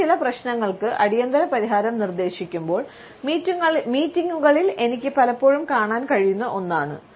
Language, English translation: Malayalam, ” Something I can often see in meetings, when I propose an urgent solution for certain problem